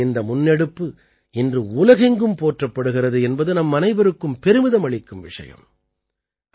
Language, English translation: Tamil, It is a matter of pride for all of us that, today, this initiative of India is getting appreciation from all over the world